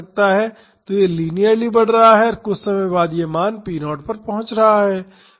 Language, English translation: Hindi, So, it is linearly increasing and after some time it is reaching the value p naught